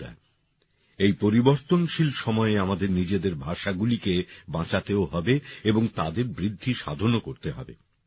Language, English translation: Bengali, Friends, in the changing times we have to save our languages and also promote them